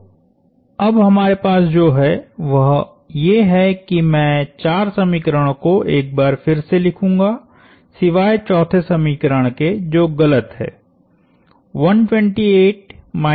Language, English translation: Hindi, So, what we now have is again I will write down the four equations once more, except this 4th equation is incorrect